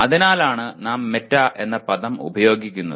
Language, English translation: Malayalam, That is why we use the word meta